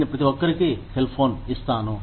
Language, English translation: Telugu, I will give everybody, a cell phone